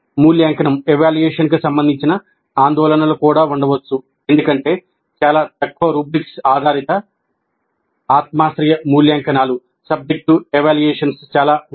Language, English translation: Telugu, Concerns regarding evaluation also may be there because there are lots of things which are little bit rubrics based subjective evaluations